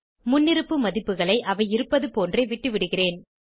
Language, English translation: Tamil, I will leave the default values as they are